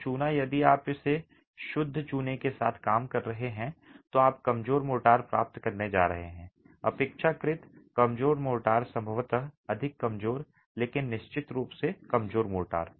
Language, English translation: Hindi, So line will, if you are working with just pure lime, you're going to get rather weak motor, relatively weak motor, more deformable probably, but definitely but weaker motor